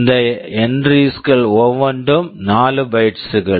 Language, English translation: Tamil, Each of these entries is 4 bytes